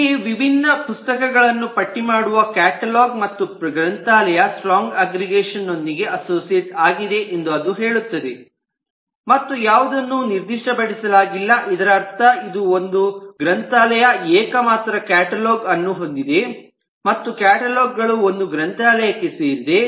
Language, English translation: Kannada, similarly it says that catalog, which list the different books, and the library are associated in a strong aggregation and nothing is specified which means that this is oneone, that a library has a unique catalog and a catalog belongs to library